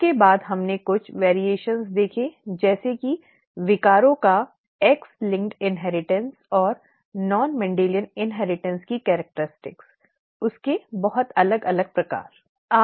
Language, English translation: Hindi, After that we saw some variations such as X linked inheritance of disorders and the non Mendelian inheritance characteristics, very many different kinds of those, okay